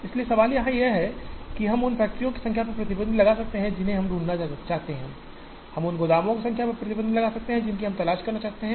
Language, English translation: Hindi, So, the question here is, we can put a restriction on the number of factories that we wish to locate, we can put a restriction on the number of warehouses that we wish to locate